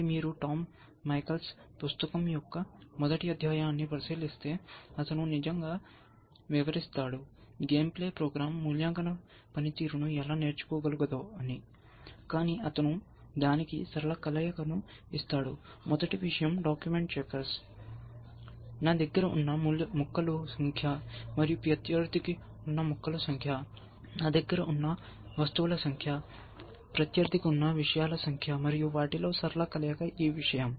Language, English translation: Telugu, So, if you look at Tom Michaels book the first chapter, he actually describes, how game playing program can learn evaluation function, but then he gives it a linear combination of, I thing is document checkers, of number of pieces I have, and number of pieces opponent have, number of things I have, number of things opponent has, and a linear combination of them is this thing